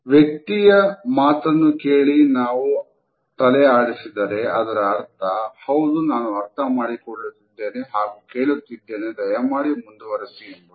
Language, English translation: Kannada, If we listen to a person and nod as a sign of “Yes, I understand or I am listening, please continue